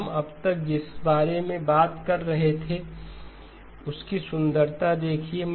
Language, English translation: Hindi, Now here is the beauty of what we have been talking about so far